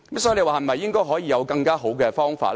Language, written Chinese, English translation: Cantonese, 所以，我們可以討論有否更佳方法。, We can thus discuss whether there is a better approach